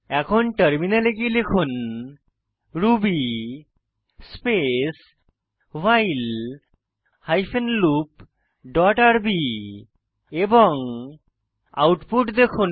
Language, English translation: Bengali, Now open the terminal and type ruby space break hyphen loop dot rb and see the output